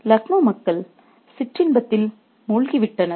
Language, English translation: Tamil, Luckner was drowned in sensuality